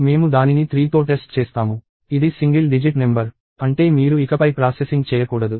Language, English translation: Telugu, I test it with 3; it is a single digit number; which means you should not to any more processing